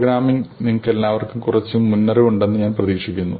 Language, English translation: Malayalam, So, we do expect that all of you have some background in programming